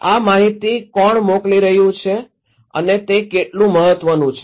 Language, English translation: Gujarati, Who is sending these informations to them and how important it is